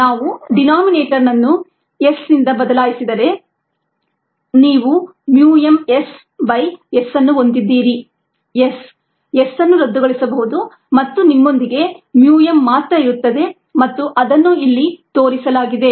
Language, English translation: Kannada, if he replace the denominator by s, you have mu m s by s, s, s can be canceled and you will be left with mu m alone and ah